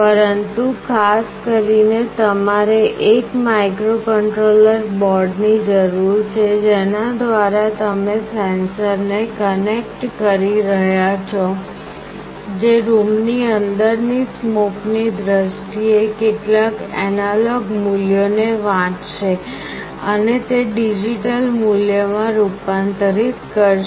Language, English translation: Gujarati, But more specifically you need a microcontroller board through which you will be connecting a sensor that will read some analog values, which is in terms of smoke inside the room, and it will convert digitally to some value